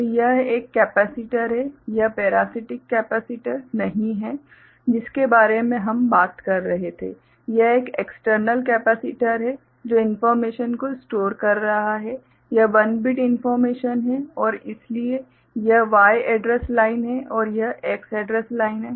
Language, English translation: Hindi, So, this is a capacitor, this is not you know the parasitic capacitor we were talking about, this is an external capacitor which is storing the information, this 1 bit information and so this is the Y address line and this is the X address line